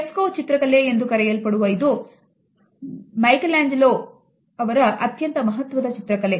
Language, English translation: Kannada, This particular fresco painting is an iconic painting by Michelangelo